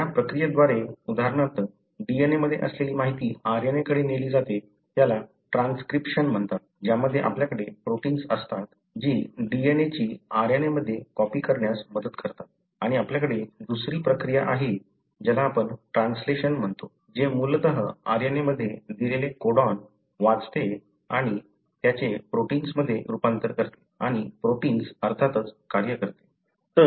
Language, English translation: Marathi, So, the process by which for example the information that is there in the DNA is carried to RNA is called as transcription wherein, you have set of proteins that help in copying the DNA into an RNA and you have another process which you call as translation which essentially reads the codon that are given in an RNA and convert that into a protein and the protein of course functions